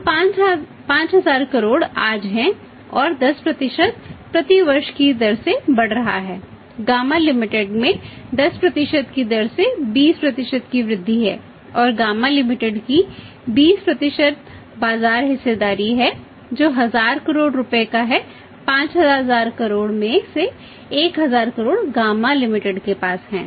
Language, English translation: Hindi, So, 5000 crore is today and is growing at the rate of 10% per annum, Ghama limited has 20% growing at the rate of 10% and Ghama limited has 20% market share which works out to be 1000 crores out of 5000 crores 1000 crore is held by Ghama limited